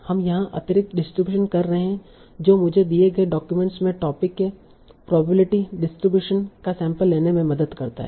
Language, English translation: Hindi, So, right now what we are doing, we are having additional distribution that helps me sample the probability distribution of topics for a given document